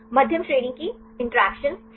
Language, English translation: Hindi, Medium range interactions right